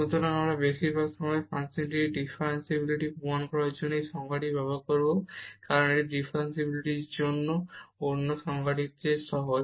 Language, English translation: Bengali, So, we most of the time you will use this definition to prove the differentiability of the function, because this is easier then that the other definition of the differentiability